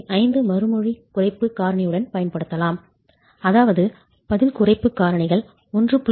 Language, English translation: Tamil, 5 which means earlier what we were talking of in terms of response reduction factors of 1